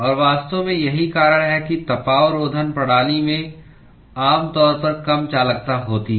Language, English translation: Hindi, And in fact, this is the reason why the insulation systems typically have low conductivities